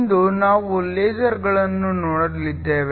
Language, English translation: Kannada, Today, we are going to look at LASERs